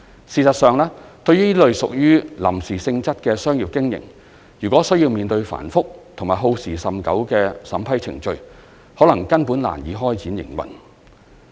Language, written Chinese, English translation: Cantonese, 事實上，對於這類屬於臨時性質的商業經營，如果需要面對繁複及耗時甚久的審批程序，可能根本難以開展營運。, In fact if temporary commercial operations of this type have to go through elaborate and time - consuming approval processes it will be difficult for them to start operation